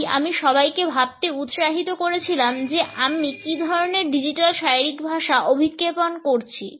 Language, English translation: Bengali, So, I had encouraged everyone to think about, what type of digital body language am I projecting